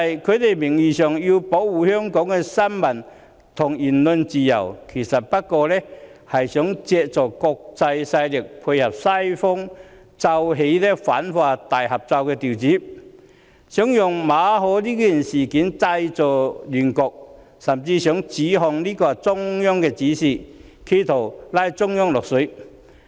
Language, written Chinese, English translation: Cantonese, 他們名義上要保護香港的新聞和言論自由，其實只不過想借助國際勢力，配合西方奏起的反華大合奏調子，利用馬凱事件製造亂局，甚至指控這是中央發出的指示，試圖把中央"拖落水"。, The opposition Members nominally claim to protect freedom of the press and freedom of speech in Hong Kong but in reality they want to draw support from international forces to tally with the anti - China ensemble played by the Western countries . Opposition Members want to make use of the MALLET incident to create chaos and even try to implicate the Central Authorities by accusing them of giving the instruction